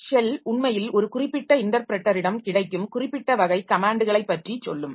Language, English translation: Tamil, So, shell actually will tell you certain type, the comments that are available in a particular interpreter